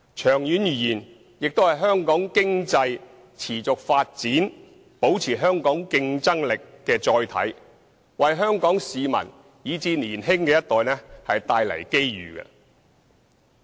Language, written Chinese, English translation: Cantonese, 長遠而言，它亦是香港經濟持續發展，保持香港競爭力的載體，為香港市民以至年輕的一代帶來機遇。, In the long run it will also be a carrier for sustaining our economic development maintaining our competitive edge as well as creating opportunities for Hong Kong people and the younger generation